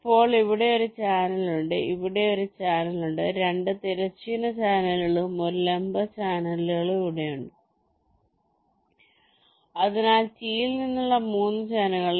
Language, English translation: Malayalam, there is a channel here, two horizontal channels and one vertical channel here, so the three channels from ah t